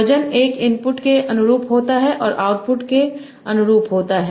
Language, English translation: Hindi, Wait 1 correspond to the input and wait 2